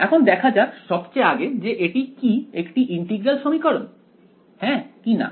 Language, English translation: Bengali, Now looking at this what kind of a first of all is it an integral equation, yes or no